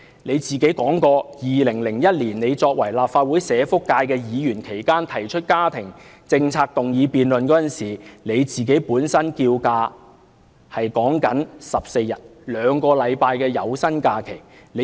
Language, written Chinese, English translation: Cantonese, 他曾經表示，在2001年作為立法會社福界的議員期間，他曾提出家庭政策議案辯論，要求侍產假14天，兩星期的有薪假期。, He once said that in 2001 when he was a Legislative Council Member representing the social welfare sector he proposed a motion debate on family - friendly policies and requested the provision of 14 days or 2 weeks of paid paternity leave